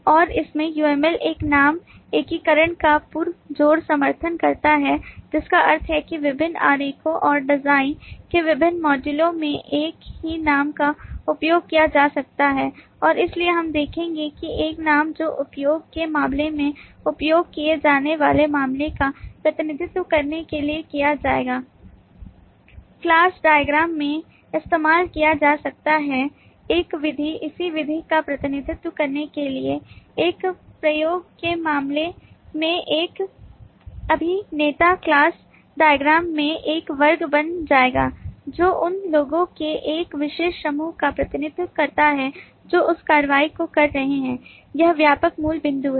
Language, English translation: Hindi, uml supports a strongly support a name unification, which means that across different diagrams and across different modules of the design, the same name can be used and therefore we will see that a name that is used in this use case to represent a use case will be used in the class diagram to represent a method, the corresponding method, a, an actor in a use case, will be become a class in the class diagram, representing a particular group of individuals is taking that action